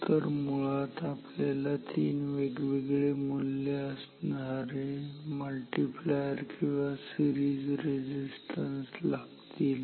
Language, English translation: Marathi, So, basically we need three different values of the multiplier or series resistance